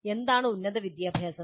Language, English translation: Malayalam, What exactly constitutes higher education